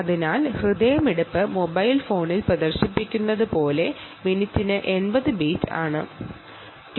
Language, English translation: Malayalam, so what we have seen is that the pulse, the heart rate, is eighty bits per minute as displayed on the mobile phone